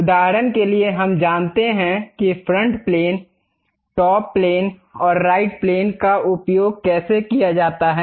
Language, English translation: Hindi, For example, we know how to use front plane, top plane and right plane